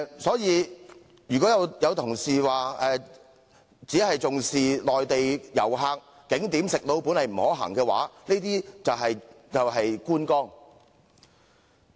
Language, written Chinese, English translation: Cantonese, 所以，如果有同事只是重視內地旅客，認為景點"食老本"不可行，他所談到的便是觀光。, For this reason if a Member merely attaches importance to Mainland visitors holding the view that living off our past gains in respect of tourist attractions is not feasible he is basically talking about sightseeing